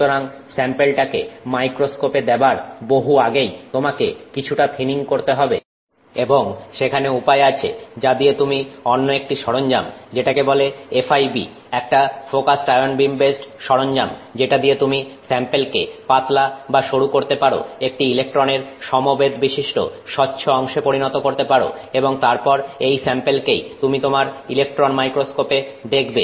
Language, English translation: Bengali, So, there is some thinning that you do ahead of time before the sample even gets into the microscope and there are ways in which you can use another equipment called fib focused ion beam based equipment through which you can thin the sample to some electron transparent thicknesses and then that sample is what you will see in your electron microscope